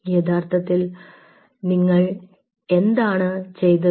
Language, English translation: Malayalam, so what you essentially did